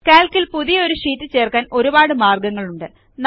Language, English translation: Malayalam, There are several ways to insert a new sheet in Calc